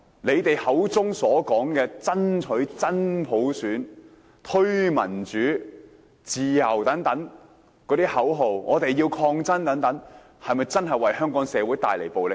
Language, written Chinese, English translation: Cantonese, 他們口中所說的爭取真普選、推動民主自由、抗爭到底等口號，有否真正為香港社會帶來暴力？, Did the slogans they cried such as fight for universal suffrage promotion of democratic freedom perseverance to the very end and so forth really bring about violence to the Hong Kong society?